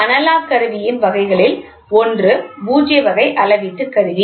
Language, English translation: Tamil, The other type of classification in analogous is null type measurement instrument